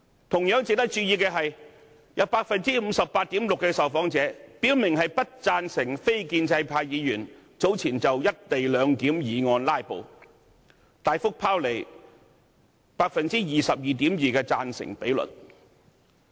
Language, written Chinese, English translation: Cantonese, 同時值得注意的是，有 58.6% 受訪者表明不贊成非建制派議員早前就有關"一地兩檢"議案進行"拉布"，大幅拋離 22.2% 的贊成比率。, It is also worth noting that with regard to the actions taken earlier by non - establishment Members to filibuster on the motion relating to the co - location arrangement 58.6 % of the respondents has clearly expressed disagreement significantly surpassing the support rate of 22.2 % among respondents